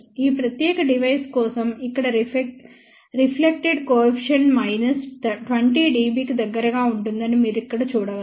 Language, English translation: Telugu, For this particular device, you can see over here that reflection coefficient here comes out to be around minus 20 dB